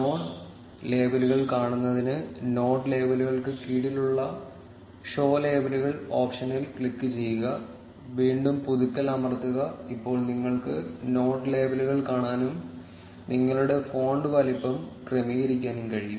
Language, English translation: Malayalam, To be able to see the node labels, click on the show labels option under the node labels, and again press on refresh, now you will be able to see the node labels and you can adjust your font size